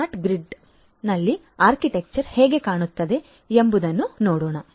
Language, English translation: Kannada, So, let us look at how the architecture is going to look like in a smart grid